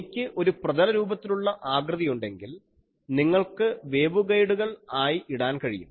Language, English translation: Malayalam, If I have a planar structure they are putting you can put waveguides etc